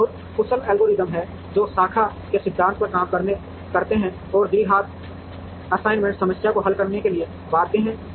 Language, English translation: Hindi, And there are very efficient algorithms, which work on the principle of branch and bound to solve the quadratic assignment problem